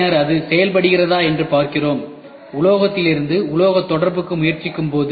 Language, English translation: Tamil, So, we try to make it seal it and then see whether it is working, when we try to have metal to metal contact